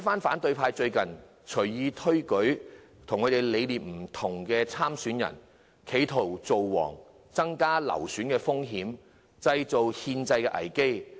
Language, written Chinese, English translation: Cantonese, 反對派最近隨意推舉與他們理念不同的候選人，企圖"造王"，增加流選的風險，製造憲制危機。, Recently the opposition camp has wilfully nominated candidates who hold different political beliefs to theirs in an attempt to make a king increase the risk of the election being aborted and create a constitutional crisis